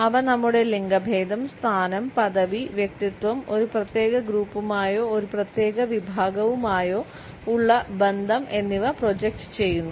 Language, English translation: Malayalam, They project our gender, position, our status, personality as well as our affiliation either with a particular group or a particular sect